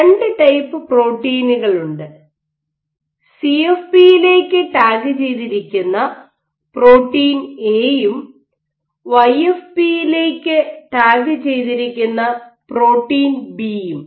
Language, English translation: Malayalam, If you have 2 typed proteins let us say protein A which is tagged to CFP, protein B which is tagged to YFP